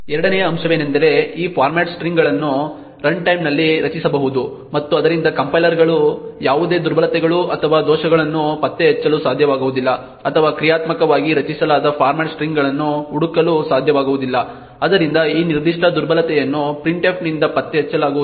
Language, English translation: Kannada, The second aspect is that these format strings can be created at runtime and therefore compilers would not be able to detect any vulnerabilities or errors or in search dynamically created format strings, so this particular vulnerability cannot be detected by printf as well